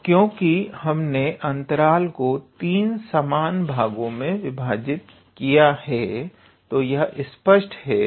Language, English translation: Hindi, So, since we have divided the interval into three equal parts